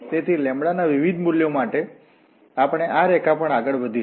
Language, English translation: Gujarati, So for different values of lambda we will be moving on this line